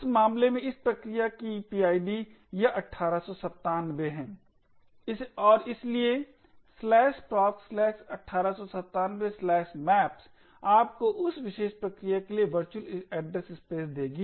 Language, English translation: Hindi, In this case the PID of the process this 1897 and therefore /proc /1897 /maps would give you the virtual address space for that particular process